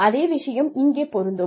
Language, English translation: Tamil, The same thing will apply here